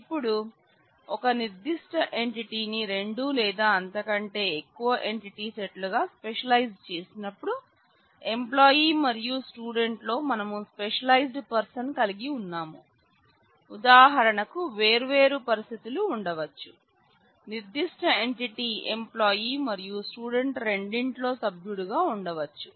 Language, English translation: Telugu, Now, when we specialize a certain entity set into two or more entity sets like we specialized person in employee and student; then there could be different situations that could exist for example, certain entity may be a member of both employee as well as student